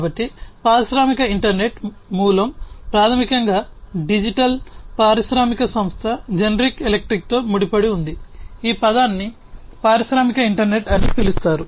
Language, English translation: Telugu, So, industrial internet the origin is basically linked to the digital industrial company General Electric, who coined this term industrial internet